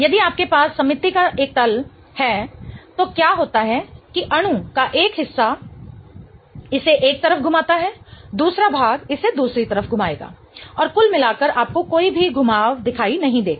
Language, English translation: Hindi, If you have a plane of symmetry, what happens is that a part of the molecule is going to rotate it towards one side, the other part will rotate it towards the other side and overall you do not see any rotation happening